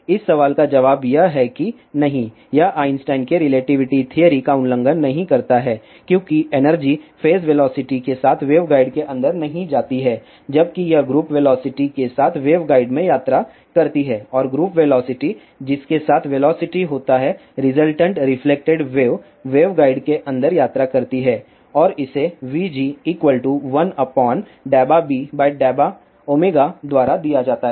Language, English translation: Hindi, So, does this vp greater than equal to c violates the Einstein's relativity theory the answer to this question is that no it does not violate the Einstein's relativity theory because energy does not travel inside the waveguide with the phase velocity, whereas, it travel in the waveguide with group velocity and the group velocity is the velocity with which the resultant reflected waves travel inside the waveguide and it is given by vg is equal to 1 upon dou beta by dou omega